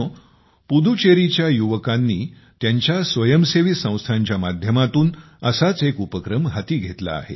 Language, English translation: Marathi, Friends, one such effort has also been undertaken by the youth of Puducherry through their voluntary organizations